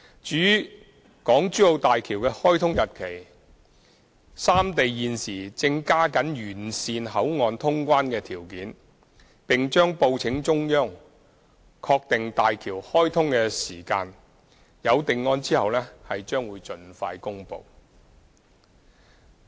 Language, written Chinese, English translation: Cantonese, 至於大橋的開通日期，三地現時正加緊完善口岸通關條件，並將報請中央確定大橋開通的時間，有定案後將盡快公布。, As regards the commissioning date of HZMB the governments of the three places are striving to improve the clearance conditions of the boundary crossing facilities BCFs . The commissioning date of HZMB will be reported to the Central Authorities and will be announced once confirmed